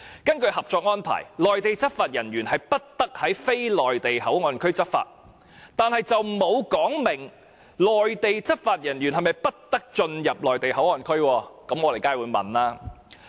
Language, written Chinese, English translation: Cantonese, 根據《合作安排》，內地執法人員不得在非內地口岸區執法，但卻沒有說明內地執法人員是否不得進入內地口岸區，所以我們必須提出這個問題。, According to the Co - operation Arrangement Mainland law enforcement officers are not allowed to enforce the law in the non - port areas but there is no provision prohibiting the entry of Mainland law enforcement officers into MPA we must therefore raise this question